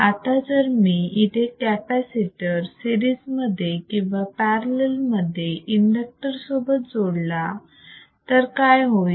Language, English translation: Marathi, Now if I connect a capacitor or in series or in parallela fashion with the in the inductor, what will happen